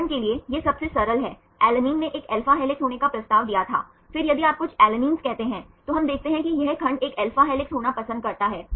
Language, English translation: Hindi, This is a simplest one for example, alanine proposed to be an alpha helix, then if you say few alanines, then we see that this segment prefers to be an alpha helix right